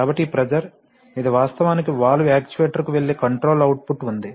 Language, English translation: Telugu, So this pressure, this is actually the controller output which is going to the valve actuator